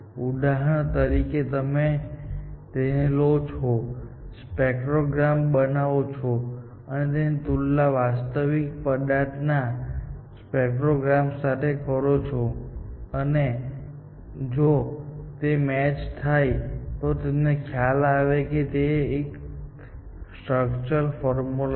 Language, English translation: Gujarati, Then, of course, it generates the synthetic spectrogram of the, for example, you take this generate the spectrogram and compare it with your real material spectrogram, and if this matches, then you know that it is the structural formula and so on, essentially